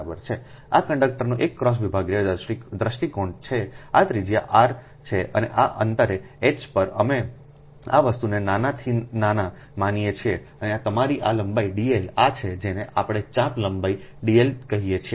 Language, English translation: Gujarati, so this is a cross sectional view of conductor, this is a radius r and at a distance h, we consider small, ah, very small, this thing, ah, your, with d x, right, and this is that your length d l, this is the your, what we call the arc length d l, right